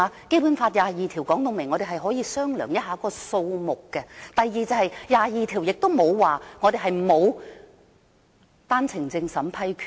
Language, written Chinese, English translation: Cantonese, 《基本法》第二十二條說明我們可以商量一下這個數目；第二，第二十二條亦沒有說過我們沒有單程證審批權。, Article 22 of the Basic Law actually provides that we may negotiate with the Mainland on the quota . Second Article 22 of the Basic Law does not provide that we shall have no approving authority under OWPS